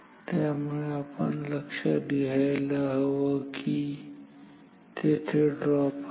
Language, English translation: Marathi, So, we should consider that there is a drop